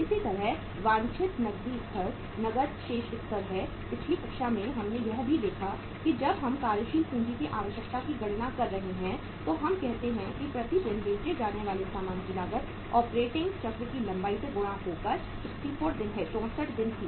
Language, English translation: Hindi, Similarly, the desired cash level is cash balance level is in the previous class also we saw that say uh when we are calculating the working capital requirement we are say having cost of goods sold per day multiplying by the length of operating cycle it was 64 days and then whatever the figure comes into that we are adding the cash balance